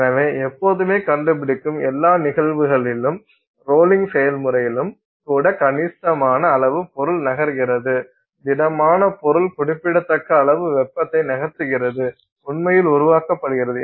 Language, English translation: Tamil, All those cases you will find because you know considerable amount of material is moving, solid material is moving, significant amount of heat is actually being generated